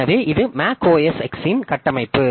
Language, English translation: Tamil, So, this is the architecture of macOS X